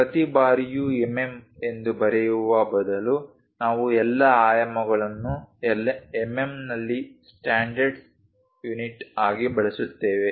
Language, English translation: Kannada, Instead of writing every time mm, we use all dimensions are in mm as a standard text